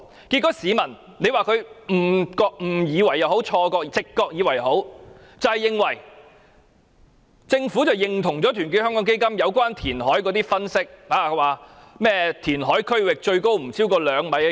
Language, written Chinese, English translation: Cantonese, 結果，市民會誤以為或直覺認為政府認同團結香港基金有關填海的分析，不斷引用填海區域海浪高度不超過2米的說法。, Consequently members of the public mistakenly think that or their intuition tell them that the Government has accepted the analysis of Our Hong Kong Foundation about reclamation and thus keep quoting the saying that waves will not be higher than two meters in the reclamation zone